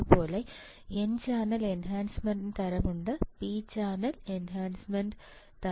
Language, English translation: Malayalam, There is n channel enhancement type there is p channel enhancement type